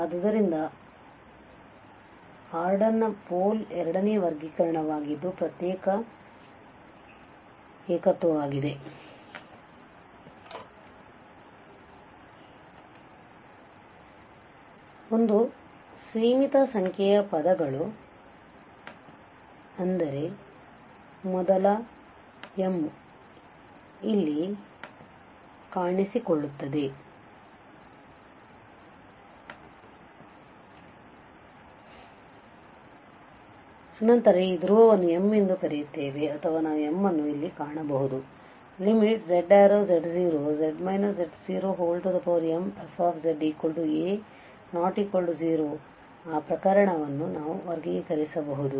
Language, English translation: Kannada, So, the pole of order m that was a second classification for the singularities isolated singularities, so a finite number of terms that is means these m, first m appear there, then we call this pole of order m or we can find such m where this z minus z0 power m fz is a finite number in that case also we can classify, so that is using limit